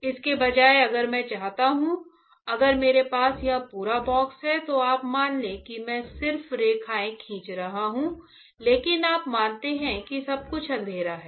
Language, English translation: Hindi, Instead of that if I want to if I have this entire box alright you assume I am just drawing lines, but you assume that everything is dark; everything is dark alright everything here is dark